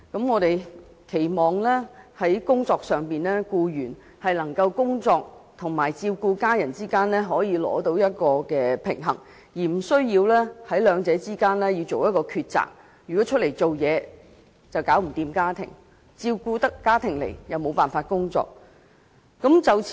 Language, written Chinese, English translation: Cantonese, 我們期望僱員能夠在工作與照顧家人之間取得平衡，而不需二擇其一：外出工作便無法照顧家庭；照顧家庭便無法工作。, We hope that employees can attain a balance between work and caring for their families without having to choose between the two going out to work but not being able to look after their families; looking after their families but not being able to work